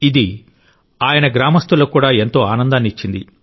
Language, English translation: Telugu, This brought great happiness to his fellow villagers too